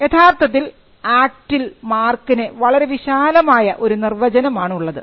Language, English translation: Malayalam, So, mark has a quite a wide definition under the act